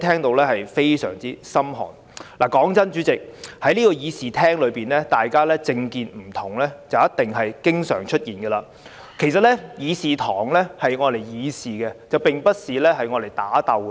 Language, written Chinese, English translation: Cantonese, 老實說，主席，在這個議事廳內，大家政見不同，是一定會經常出現的，但議事堂該用來議事，而不是打鬥。, Frankly speaking Chairman it is not uncommon for Members to have different political views in this Chamber . But the purpose of this Chamber is for us to debate on public policies not physical fight